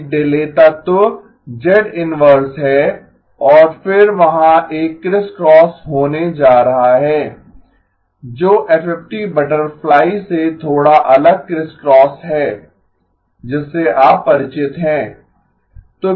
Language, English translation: Hindi, There is a delay element z inverse and then there is going to be a crisscross which is a slightly different crisscross from the FFT butterfly that you are familiar with